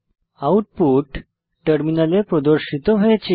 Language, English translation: Bengali, The output is as shown on the terminal